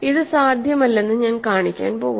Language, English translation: Malayalam, So, I am going to show that this is not possible